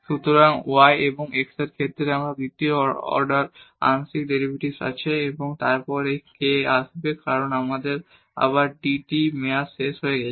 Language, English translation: Bengali, So, we have the second order partial derivative with respect to y and x and then this k will come because we have dy over dt term again